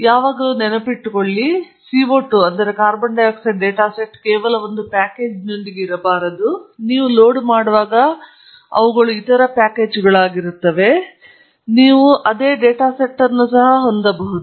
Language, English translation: Kannada, Always remember the CO 2 data set need not be just with one package, they are other packages when you load, you can also have the same data set